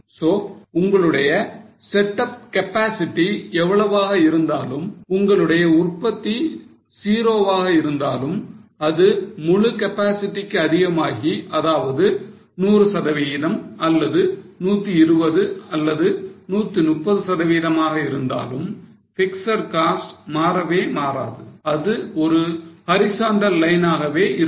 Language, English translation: Tamil, given range they do not change so whatever is your setup capacity either you produce zero or you go up to the capacity or say 100% or 120 or 130% of your capacity fixed cost do not change it's a horizontal line you can see there is a black line which is going up